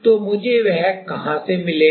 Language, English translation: Hindi, So, where from I am getting that